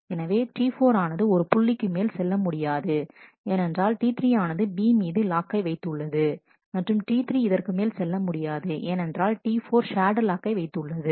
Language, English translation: Tamil, So, T 4 cannot go beyond this point because T 3 has the lock on B and, one is this T 3 cannot go beyond this point because T 4 has that shared lock